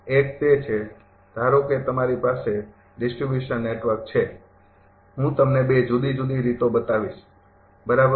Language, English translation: Gujarati, One is that, suppose you have a distribution network I will show you the 2 different ways, right